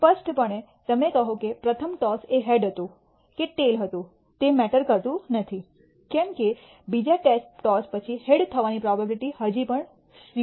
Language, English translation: Gujarati, Clearly you will say well does not matter whether the first toss was a head or a tail the probability of head occurring as the second toss is still 0